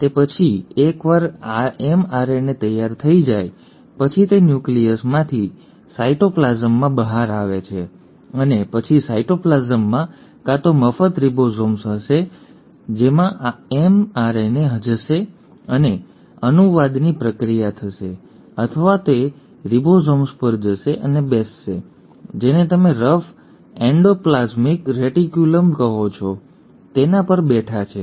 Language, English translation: Gujarati, After that once the mRNA is ready, it comes out of the nucleus into the cytoplasm and then in the cytoplasm there will be either free ribosomes to which the mRNA will go and the process of translation will happen or it will go and sit on those ribosomes which are sitting on what you call as the rough endoplasmic reticulum